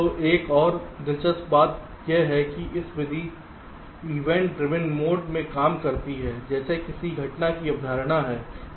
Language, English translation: Hindi, so there is another interesting point is that this method works in even driven mode, like there is a concept of a event